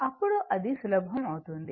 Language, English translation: Telugu, Then it will be easier